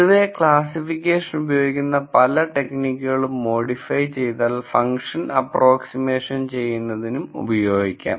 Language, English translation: Malayalam, In general many of the techniques that I used in classification can also be modified or used for function approximation problems